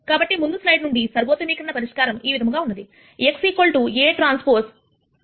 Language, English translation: Telugu, So, the optimization solution from the previous slide is the following x equal to a transpose A A transpose inverse b